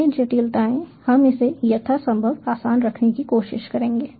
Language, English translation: Hindi, we will just try to keep it as easy as possible